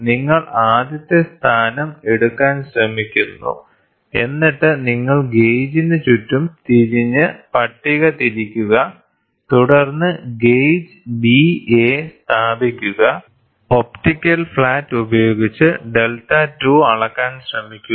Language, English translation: Malayalam, So, you try to take the first position, then you turn it around the gauge and then rotate the table, then place the gauge B A and try to measure the delta 2, using the same optical flat